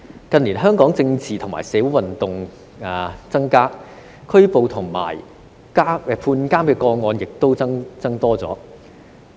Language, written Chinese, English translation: Cantonese, 近年，香港政治及社會運動增加，拘捕及判監個案亦有所增加。, In recent years the number of political and social movements in Hong Kong has increased and so have the numbers of arrests and cases of imprisonment